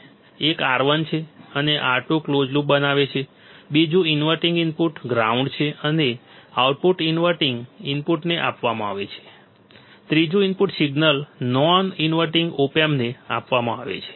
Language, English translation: Gujarati, One is R 1 and R 2 forms a closed loop; second the inverting input is grounded and output is fed to the inverting input; third is the input signal is given to the non inverting opamp